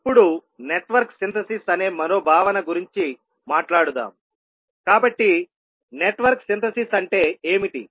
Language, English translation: Telugu, Now let us talk about another concept called Network Synthesis, so what is Network Synthesis